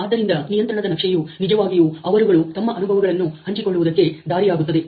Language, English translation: Kannada, So, the control chart is the really way to share their experiences